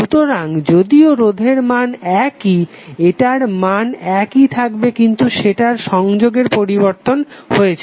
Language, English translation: Bengali, So although resistor value is same but, its value will remain same but, the association has changed